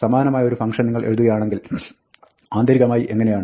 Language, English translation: Malayalam, This would be how internally, if you were to write a similar function, you would write it